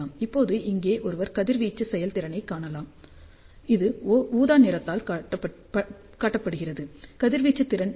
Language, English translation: Tamil, Now, one can see here radiation efficiency shown by purple color, so that is what is the radiation efficiency